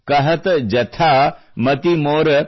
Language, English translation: Kannada, Kahat jathaa mati mor